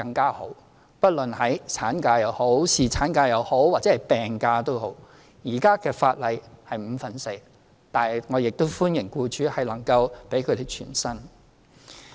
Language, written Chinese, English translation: Cantonese, 現行法例規定無論法定產假、侍產假或病假，支付的薪酬是五分之四，但我亦歡迎僱主能夠給予僱員全薪。, Under existing laws no matter whether it is statutory maternity leave paternity leave or sick leave the rate is four fifths of an employees daily wages but I also welcome full pay granted to the employees concerned by employers